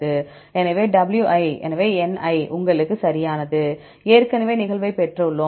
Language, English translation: Tamil, So, n we have right, we already got the occurrence